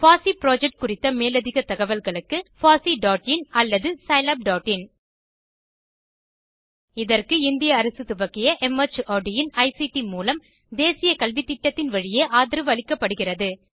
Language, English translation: Tamil, More information on the FOSSEE project could be obtained from http://fossee.in or http://scilab.in Supported by the National Mission on Eduction through ICT, MHRD, Government of India